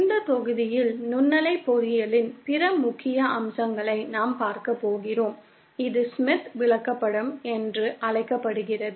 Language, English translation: Tamil, In this module we are going to cover other important aspects of microwave engineering, this is known as the Smith chart